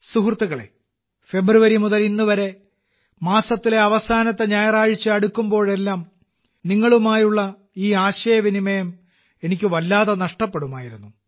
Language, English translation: Malayalam, Friends, since February until now, whenever the last Sunday of the month would come, I would miss this dialogue with you a lot